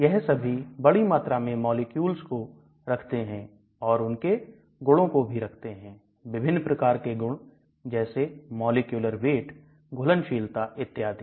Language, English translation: Hindi, All these contain structures of large number of molecules searchable and contains properties of all of them, different types of properties, molecular weight, solubility, and so on